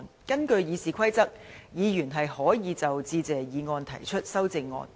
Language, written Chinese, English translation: Cantonese, 根據《議事規則》，議員是可以就"致謝議案"提出修正案。, Under the Rules of Procedure Members can propose amendments to the Motion of Thanks